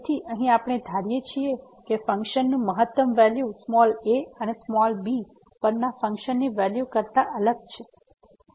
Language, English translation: Gujarati, So, here we assume that the function the maximum value of the function is different than the function value at and